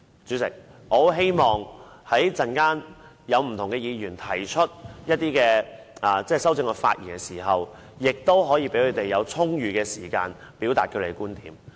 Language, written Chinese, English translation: Cantonese, 主席，我十分希望稍後不同議員就修正案發言時，可以得到充裕的時間，表達他們的觀點。, Chairman I really hope that Members who speak later on the amendments can be given sufficient time to express their views